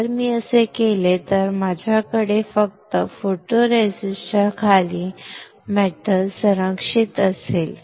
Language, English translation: Marathi, If I do that then I will have metal protected only beneath the photoresist correct